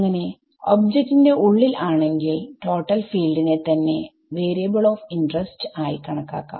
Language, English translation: Malayalam, So, inside the inside the object, we go back to the total field as the variable of interest ok